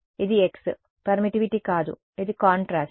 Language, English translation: Telugu, This is x, not permittivity this is contrast